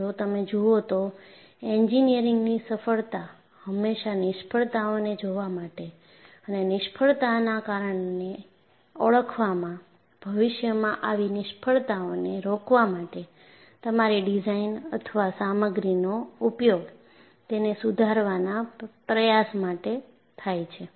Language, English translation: Gujarati, See, if you look at, success of engineering has always been in looking at failures and identify the cause for the failure and try to modify or improve your design or use of material to prevent such failures in future